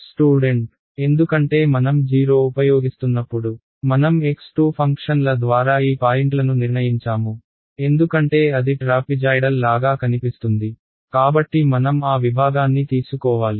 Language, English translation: Telugu, Because when we using 0 x 2 because, we decided these points by the more of the function, because something looks like a trapezoidal then we have to take that section